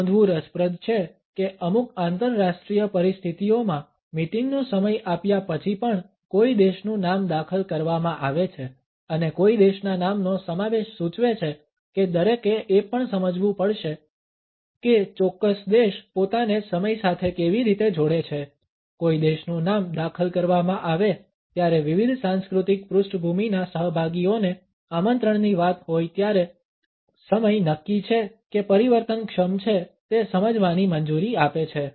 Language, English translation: Gujarati, It is interesting to note that in certain international situations the name of a country is also inserted after the time of the meeting is given and the insertion of the name of a country indicates that, one also has to understand how the particular country associates itself with time the insertion of the name of a country allows the participants from different cultural backgrounds to understand if the time is fixed or fluid as far as the invitation is concerned